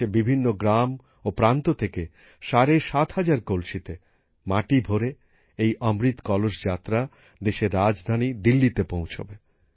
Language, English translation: Bengali, This 'Amrit Kalash Yatra' carrying soil in 7500 urns from every corner of the country will reach Delhi, the capital of the country